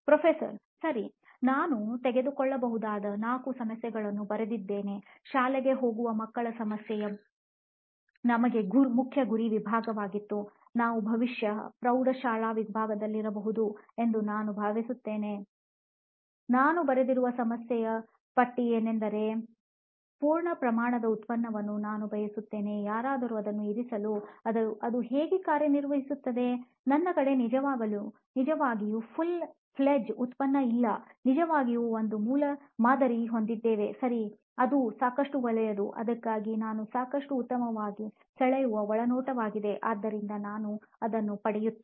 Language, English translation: Kannada, Okay, I have written down 4 problems that we could possibly take up, so we’ve given an overall view of what the problem is that children are school going children are the main target segment for us, particularly I think I am feeling that you are probably in the high school category, the list of problem that I have written down is that I want a full fledge product to convince somebody to even take a stab at it and see how it works, but I do not really have a full fledge product, really have a prototype, okay is that good enough for that, is the insight that I draw good enough for that, so I get it